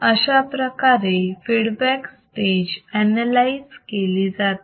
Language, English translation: Marathi, This is how the feedback stage analysis can be done